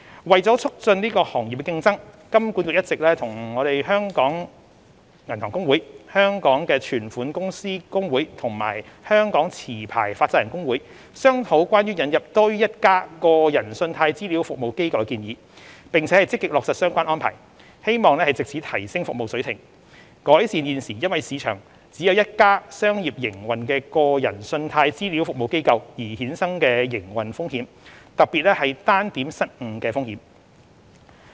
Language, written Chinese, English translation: Cantonese, 為促進行業競爭，金管局一直與香港銀行公會、香港存款公司公會和香港持牌放債人公會商討關於引入多於一家個人信貸資料服務機構的建議，並積極落實相關安排，希望藉此提升服務水平，改善現時因市場只有一家商業營運的個人信貸資料服務機構而衍生的營運風險，特別是單點失誤的風險。, To promote competition in the sector HKMA has been discussing with the Hong Kong Association of Banks the Hong Kong Association of Restricted Licence Banks and Deposit - taking Companies and the Hong Kong SAR . Licensed Money Lenders Association Limited the proposal of introducing more than one consumer CRA in Hong Kong . It seeks to implement the relevant arrangement soon with a view to enhancing the service quality of consumer CRAs and reducing the operational risk of having only one commercially - run consumer CRA in the market particularly the risk of single point of failure